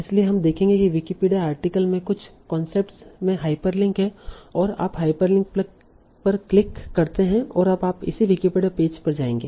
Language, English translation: Hindi, So you will see that in Wikipedia article certain concepts have a hyperlink and you click on the hyperlink and you will go to the corresponding Wikipedia page